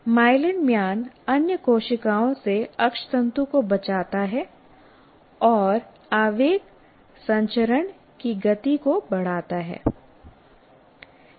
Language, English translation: Hindi, The myelin sheath insulates the axon from the other cells and increases the speed of impulse transmission